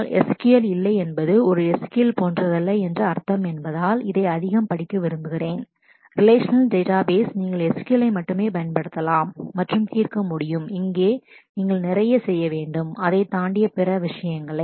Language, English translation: Tamil, But I would rather like to read it more as no SQL means that it is not only SQL like in a relational database, you can use only SQL and solve problems; here you need to do lot of other things beyond that